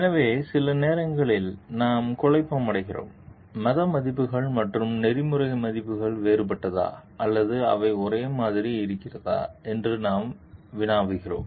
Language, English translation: Tamil, So, sometimes we get confused, we think like whether religious values and ethical values are different or whether they are same